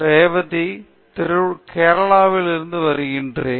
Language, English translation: Tamil, I am from Trivandrum, Kerala